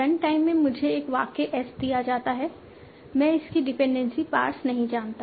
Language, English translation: Hindi, At run time, I am given a sentence as I do not know its dependency parts